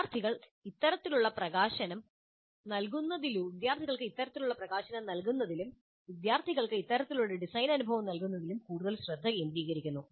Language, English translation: Malayalam, So the focus on giving this kind of exposure to the students, providing this kind of design experience to the students is becoming more and more popular